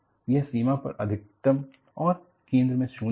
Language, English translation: Hindi, It is, maximum at the boundary and 0 at the center